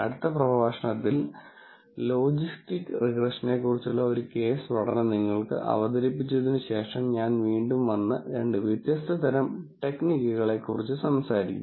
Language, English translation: Malayalam, In the next lecture, after, an case study on logistics regression is presented to you, I come back and talk about two different types of techniques